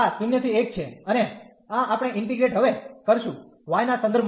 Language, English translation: Gujarati, So, this is 0 to 1 and this we will integrate now with respect to y